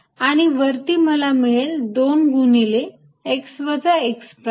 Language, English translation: Marathi, and on top i will get two times x minus x prime